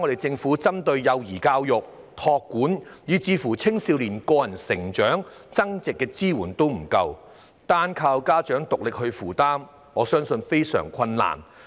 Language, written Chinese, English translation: Cantonese, 政府現時對幼兒教育、託管、青少年個人成長及增值的支援並不足夠，單靠家長獨力負擔，我相信他們非常吃力。, Currently government support in areas such as child education child care youths personal growth and self - enhancement are insufficient and I think it is really hard for parents to only count on themselves